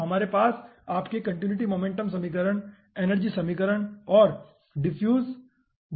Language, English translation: Hindi, so we are having your continuity momentum equation, energy equation and diffuse d equation